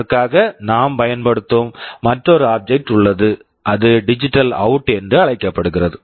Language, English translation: Tamil, There is another object that we use for that, it is called DigitalOut